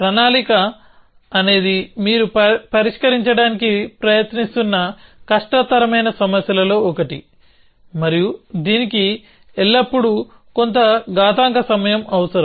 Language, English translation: Telugu, So, planning is those one of the hard problems that you are trying to solve and it will always need some exponential amount of time essentially